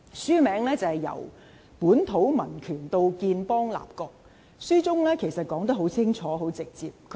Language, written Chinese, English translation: Cantonese, 書名是《由本土民權到建邦立國》，書中說得很清楚、很直接。, The book title is Civic Nationalism and State Formation and it presents a very clear and straightforward discussion